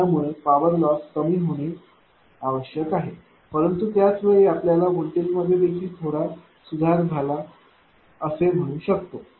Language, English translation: Marathi, It should reduce the power loss, but at the same time that your; what you call that voltage also being improved little bit improved